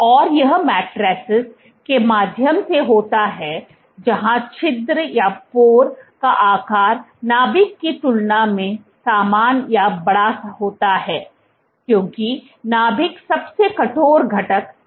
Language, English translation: Hindi, And this is through matrices where the pore size is comparable or bigger than the nucleus because the nucleus is the stiffest component